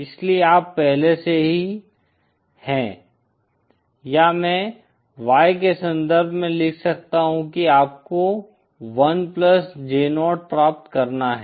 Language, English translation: Hindi, So you have already or I can write in terms of Y in you have to achieve 1 plus J 0